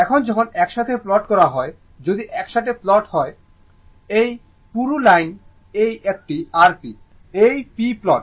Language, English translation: Bengali, Now, when you plot together, if you plot together, this thick line, this thick line, this one is your p right, this is the p plot